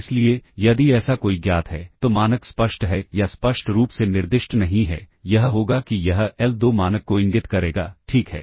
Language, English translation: Hindi, So, if there is a known of so, the norm is explicit or not specified explicitly, it is it will it indicates the l2 norm, all right